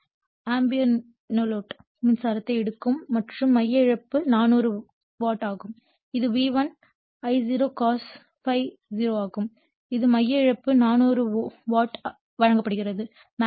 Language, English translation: Tamil, 5 ampere and the core loss is 400 watt that is core loss is given that is V1 your I0 cos ∅0 that is your core loss 400 watt is given